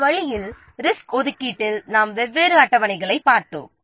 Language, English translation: Tamil, In this way we have seen the resource allocations, the different schedules we have seen